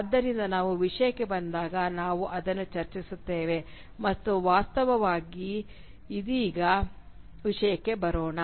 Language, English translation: Kannada, So we will discuss this when we come to the content and in fact let us come to the content right now